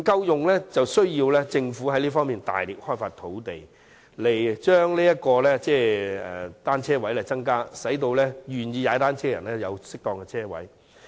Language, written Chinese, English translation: Cantonese, 政府需要着力尋找合適的地點，增加單車泊位，使願意以單車代步的人有適當的泊車位。, The Government needs to make stronger efforts in identifying suitable spots for additional bicycle parking spaces so that people who are willing to commute by bicycles can access appropriate parking spaces